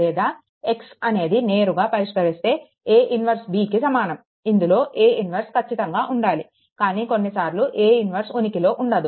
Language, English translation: Telugu, Or x is equal to directly solved x is equal to a inverse b of course, if a inverse exist, but any way ah sometimes we do not follow a inverse